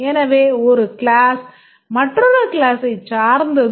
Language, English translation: Tamil, So, one class may depend on another class